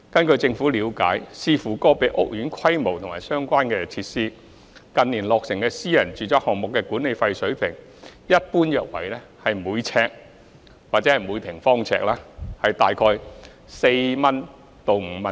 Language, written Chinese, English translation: Cantonese, 據政府了解，視乎個別屋苑規模及相關設施，近年落成的私人住宅項目的管理費水平一般約為每平方呎4元至5元。, According to the understanding of the Government depending on the scale and relevant facilities of individual housing estates the management fee level of private residential projects completed in recent years is around 4 to 5 per square foot in general